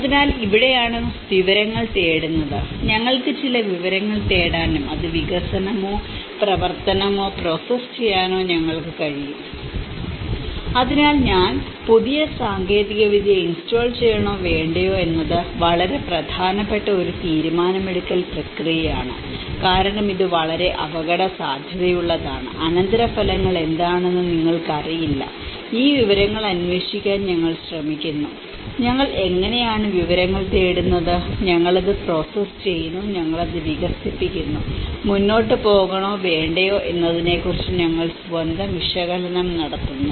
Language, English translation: Malayalam, So, this is where the information seeking, we are able to seek some information and we are able to process it development or activity so, this is a very important decision making process whether I install new technology or not because it is a very risky, you do not know what is the consequences and we try to relay on this information seeking, you know that how we seek for information and we process it, we develop it, we make our own analysis of whether we should go further or not